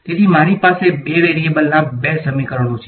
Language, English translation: Gujarati, So, I have two equations in 2 variables